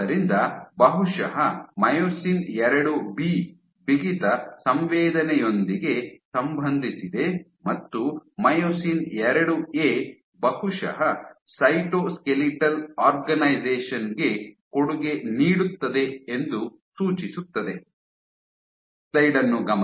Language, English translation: Kannada, So, suggesting that probably IIB is associated, so IIB is associated with stiffness sensing and IIA probably contributes to the cytoskeletal organization